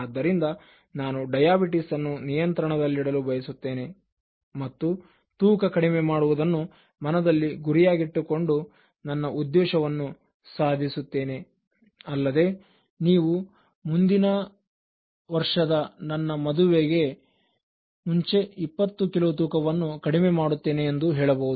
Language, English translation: Kannada, So, I want to keep my diabetes in control, so keeping a goal in mind and trying to achieve a target so in terms of reducing weight you can say that I want to reduce 20 kilos before my marriage in the next year